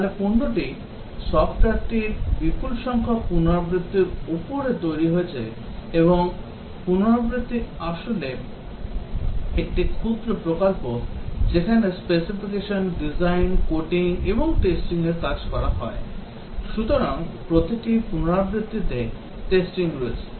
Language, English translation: Bengali, So the product, the software is developed over a large number of iterations and each iteration is actually a mini project where specification, design, coding and testing is carried out, so testing is there in every iteration